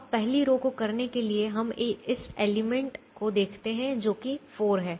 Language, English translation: Hindi, now to do the first row, we look at this element, which is four